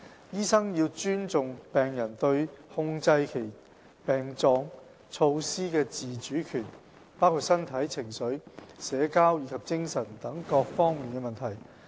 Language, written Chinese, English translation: Cantonese, 醫生要尊重病人對控制其症狀措施的自主權，包括身體、情緒、社交及精神等各方面的問題。, A terminally ill patients right to adequate symptom control should be respected . This includes problems arising from physical emotional social and spiritual aspects